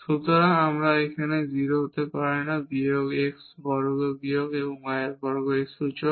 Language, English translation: Bengali, So, and this cannot be 0 this exponential of minus x square minus y square